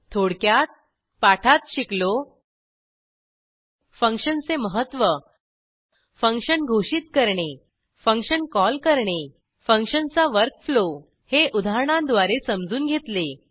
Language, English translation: Marathi, In this tutorial we learnt, * Importance of functions * Function declaration * Function call * Work flow of function * with an example As an assignment